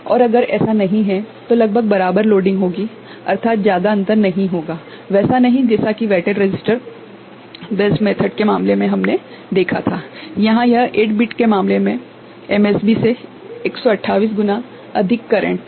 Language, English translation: Hindi, And if it is not that, almost equal loading I mean not much of a difference, not like what we had seen in the case of weighted resistor based method, where it is the MSB was for a 8 bit case 128 times more current you know, the resistance was carrying 128 times more current ok